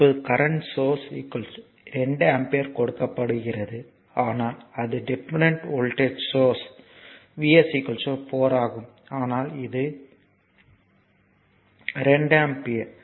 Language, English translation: Tamil, Now here if you come here a current source is given is equal to 2 ampere, but it dependent voltage source V s is equal to 4 is, but this is equal to 2 ampere